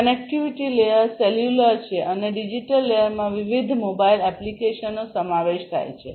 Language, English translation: Gujarati, The connectivity layer is cellular and the digital layer consists of different mobile applications